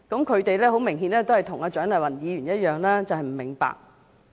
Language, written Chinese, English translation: Cantonese, 他們很明顯跟蔣麗芸議員一樣不明白。, Same as Dr CHIANG Lai - wan they obviously do not understand the picture